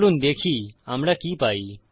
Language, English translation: Bengali, Lets see what we get